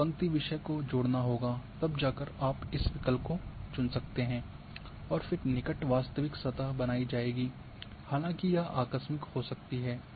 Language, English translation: Hindi, A line theme has to be added then you can go choose this option and then a near real surface will be created though it might be abrupt